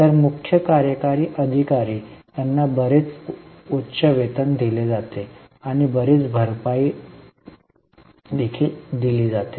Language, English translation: Marathi, So, CEO is given substantially high salary, a very high salary and also a lot of perks